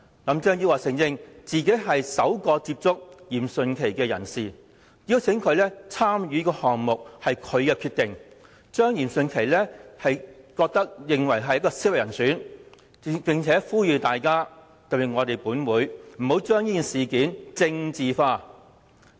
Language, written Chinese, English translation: Cantonese, 林鄭月娥承認，她親自接觸嚴迅奇，邀請他參與項目也是她的決定，指嚴迅奇是合適人選，並呼籲外界，特別是立法會不要把事件政治化。, Carrie LAM admitted that she herself approached Rocco YIM and it was her decision to invite him to participate in the project . She said that Rocco YIM was the right person and appealed to members of the public particularly Members of the Legislative Council not to politicize the issue